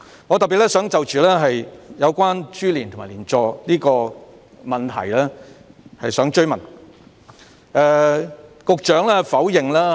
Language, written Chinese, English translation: Cantonese, 我特別想就着有關株連和連坐的問題提出補充質詢。, I especially want to raise a supplementary question on the issue of implication and collective punishment